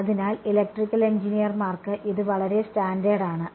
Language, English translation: Malayalam, So, this is I mean for Electrical Engineers this is very standard